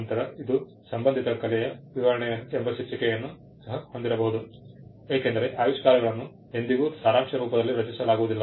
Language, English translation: Kannada, Then, it may also have a heading called description of related art because inventions are never created in abstract